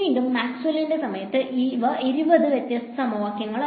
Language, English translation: Malayalam, Again at the time of Maxwell’s these were 20 separate equations